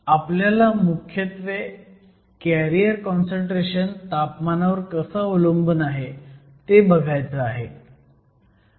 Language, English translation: Marathi, So, we want to look at the temperature dependence on the majority carrier concentration